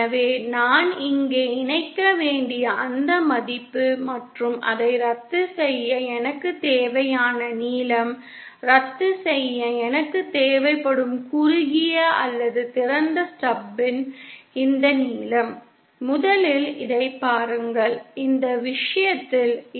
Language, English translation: Tamil, So that succeptance value I have to connect here and the length that I would need for cancelling that, this length of the shorted or open stub that I would need for cancelling wouldÉ First of all, see this is, say in this case this is J 1